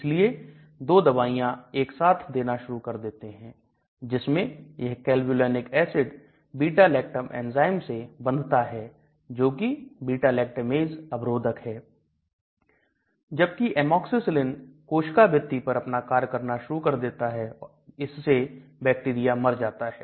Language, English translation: Hindi, They started giving 2 drugs in combination so this particular Clavulanic acid will go and bind to the beta lactam enzyme that is beta lactamase inhibitor whereas the Amoxicillin will start working on the cell wall thereby the bacteria will get killed